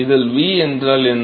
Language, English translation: Tamil, What is v in this